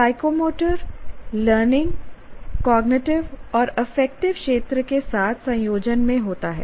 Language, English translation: Hindi, And psychomotor learning occurs in combination with cognitive and affective domains of learning